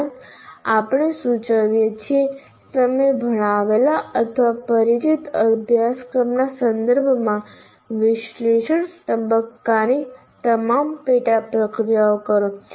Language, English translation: Gujarati, And we will also suggest that you perform all the sub processive analysis phase with respect to the course you taught or familiar with